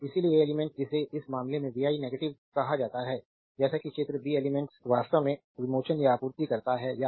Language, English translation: Hindi, So, element your what you call in this case vi negative as figure b the element actually is releasing or supplying power